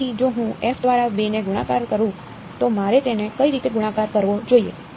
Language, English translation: Gujarati, So, if I take 2 multiplied by f of what should I multiply it by